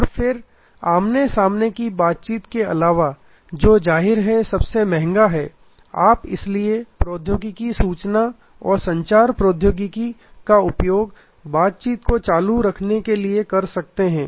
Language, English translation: Hindi, And then besides the face to face interaction which is obviously, the most the costliest you can use therefore, technology the information and communication technology to keep the interaction going